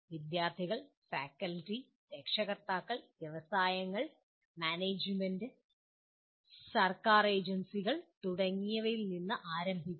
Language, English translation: Malayalam, To start with the students, faculty, the parents, industries, management, government agencies and so on